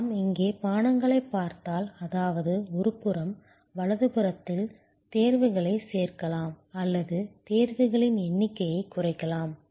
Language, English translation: Tamil, If we look here beverages, I mean, we can on one hand, add choices on the right hand side or reduce the number of choices